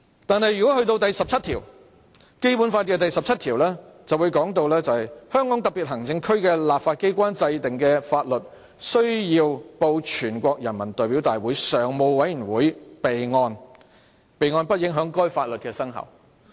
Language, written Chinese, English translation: Cantonese, 但是，《基本法》第十七條訂明："香港特別行政區的立法機關制定的法律須報全國人民代表大會常務委員會備案，備案不影響該法律的生效。, However Article 17 of the Basic Law stipulates that Laws enacted by the legislature of the Hong Kong Special Administrative Region must be reported to the Standing Committee of the National Peoples Congress for the record . The reporting for record shall not affect the entry into force of such laws